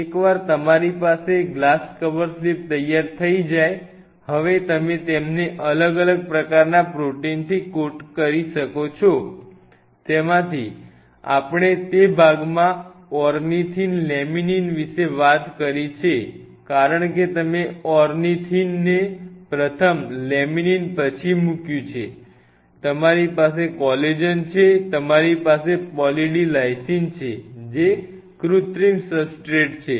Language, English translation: Gujarati, Once you have these glass cover slips ready, now you are good to go to coat them with different kind of proteins what part of which we have talked about you have Laminin Ornithine actually rather ornithine laminin because you put the ornithine first followed by Laminin, you have Collagen, you have Poly D Lysine which is a Synthetic substrate